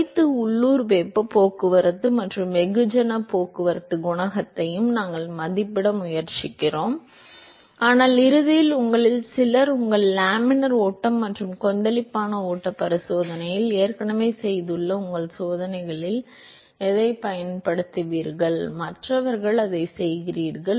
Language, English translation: Tamil, Although we are trying to estimate all the local heat transport and mass transport coefficient, but ultimately what you would be using in your experiments which is some of you have already done in your laminar flow and turbulent flow experiments and others who do that through the rest of the semester in your lab course is that what you would actually be using is actually the average heat transport and mass transport coefficient